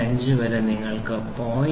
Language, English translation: Malayalam, 5 you have 0